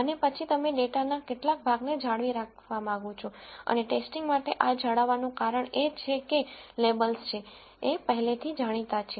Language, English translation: Gujarati, And then you want to retain some portion of the data for testing and the reason for retaining this is because the labels are already known in this